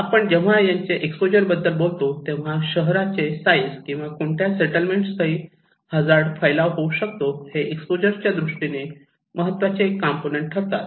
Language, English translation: Marathi, So, when we are talking about the exposure, the size of the city or the settlements and where this hazard will take place is one important component of exposure